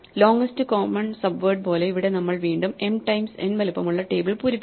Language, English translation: Malayalam, Just like the longest common subword, here once again we are filling in a table of size m times n